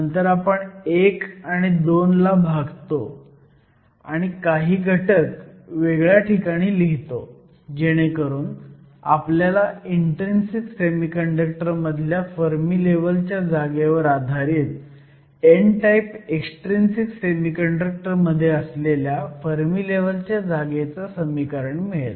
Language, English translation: Marathi, So, we start with 1 and 2, and then we divide 1 and 2, and rearrange the terms to get the expression for the Fermi level position in an extrinsic n type semiconductor with respect to the Fermi level position in an intrinsic semiconductor